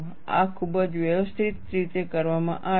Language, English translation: Gujarati, This is very systematically done